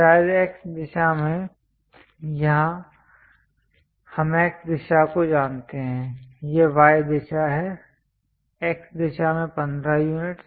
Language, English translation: Hindi, Perhaps in the X direction, here we know X direction it is the Y direction; in the X direction 15 units